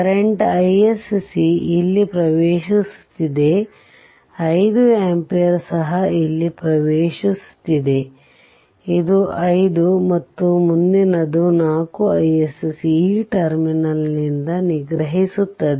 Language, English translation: Kannada, So, current is entering here this is I s c; 5 ampere is also entering here, this is 5 right and next 4 I s c leaving this terminal